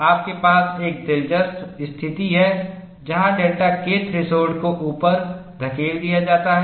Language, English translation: Hindi, You have a interesting situation where delta K threshold is pushed up; that is the situation we have here